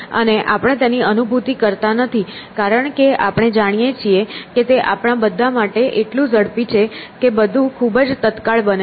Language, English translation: Gujarati, And we do not realize it because we know it is so fast for all of us here that everything happens instantaneously